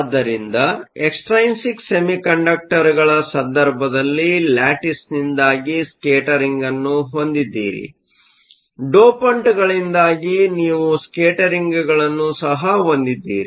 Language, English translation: Kannada, So, in the case of extrinsic semiconductors, you have scattering due to the lattice; you also have scattering due to the dopants